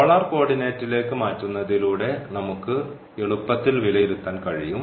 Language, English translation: Malayalam, And with the help of again the polar coordinate this was very easy to evaluate